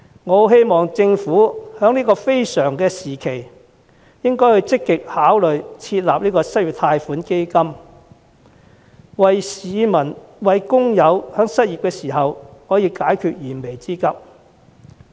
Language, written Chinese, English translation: Cantonese, 我希望政府在這個非常時期，會積極考慮設立失業貸款基金，為失業的市民和工友解決燃眉之急。, I hope that the Government will during this time of hardships seriously consider setting up an unemployment loan fund to address the urgent needs of employees and workers who have lost their jobs